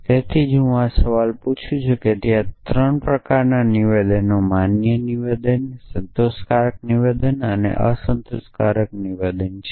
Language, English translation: Gujarati, So, that is why I ask this question there are 3 kind of statements valid statement, satisfiable statement and unsatisfiable statement